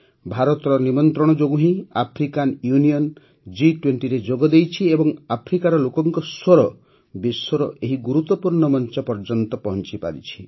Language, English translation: Odia, The African Union also joined the G20 on India's invitation and the voice of the people of Africa reached this important platform of the world